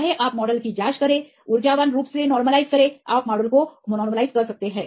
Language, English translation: Hindi, Whether you check the model is energetically favourable right you can optimize the model